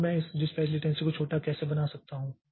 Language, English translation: Hindi, So, how can we make this dispatch latency small and all